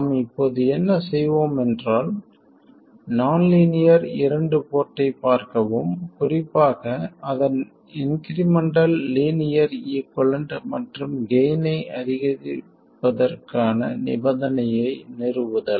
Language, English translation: Tamil, What we will now do is look at the nonlinear 2 port, specifically its incremental linear equivalent and establish the conditions for maximizing the gain